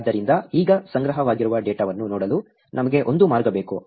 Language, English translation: Kannada, So, now, we also need a way by which to look at the data that is being stored